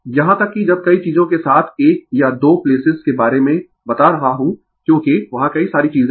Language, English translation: Hindi, Even when am telling with many things 1 or 2 places because, so, many things are there